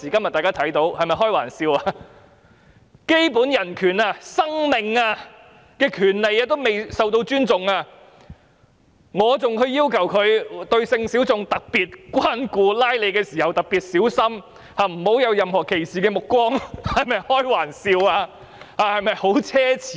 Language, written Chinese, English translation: Cantonese, 連基本人權、生命權也未受到尊重，還要求執法人員對性小眾特別關顧，拘捕時特別小心，不要存有任何歧視的目光，是否開玩笑，是否很奢侈？, When even fundamental human rights or the right to life cannot be respected how can we expect law enforcement officers to give special regard to sexual minorities treat them carefully when making arrests and not discriminate against any of them? . Is this not a joke? . Is this not extravagant?